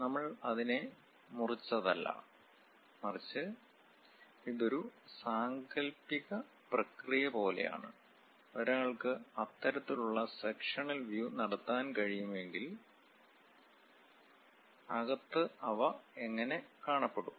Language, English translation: Malayalam, It is not that we slice it, but it is more like an imaginary process; if one can really have that kind of sectional thing, in inside pass how do they look like